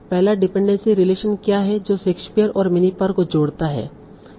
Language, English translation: Hindi, What is the first dependency relation that connects Shakespeare